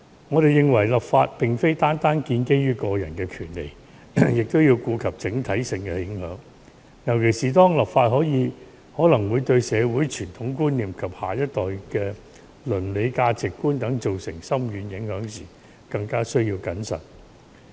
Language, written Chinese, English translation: Cantonese, 我們認為立法並非單單建基於個人的權利，也要顧及整體性的影響，尤其當立法可能會對社會傳統觀念及下一代的倫理價值觀等造成深遠影響時，更加需要謹慎。, We consider that legislation should not be based entirely on individual rights; the overall impact should be taken into consideration and extra caution should be exercised particularly in view of the far - reaching impact of legislation in this respect on the traditional values in society as well as the moral values of the next generation